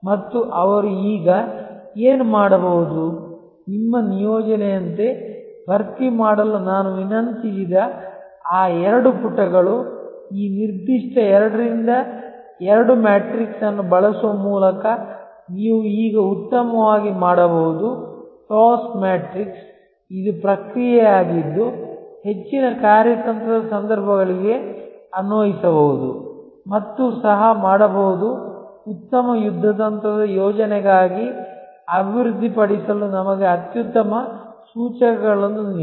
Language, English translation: Kannada, And what can they do now that, those two pages that I requested you to fill up as your assignment you can now do better by using this particular 2 by 2 matrix the TOWS matrix it is process can be applied to most strategic situations and can also give us excellent indicators for developing for a good tactical plan